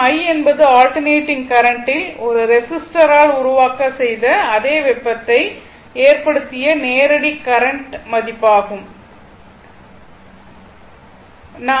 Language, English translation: Tamil, Suppose, i, i be the value of the direct current to produce the same heating in the same resistor as produced by a your by alternating current, right